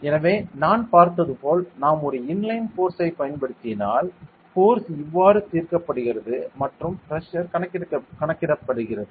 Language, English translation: Tamil, So, as I have even if we apply an inline force this is how the force is resolved and pressure is calculated